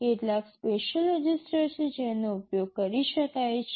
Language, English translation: Gujarati, There are some specific registers which can be accessed